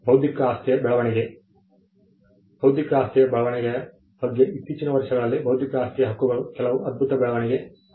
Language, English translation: Kannada, Growth of intellectual property, intellectual property rights has witnessed some phenomenal growth in the recent years